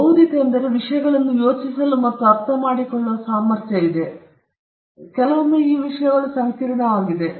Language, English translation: Kannada, By being intellectual we refer to our ability to think and understand things; sometimes these things are complicated